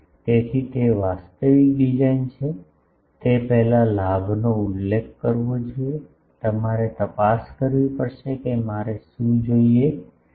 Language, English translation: Gujarati, So, before that actual design is the gain should be specified, you will have to check that what I require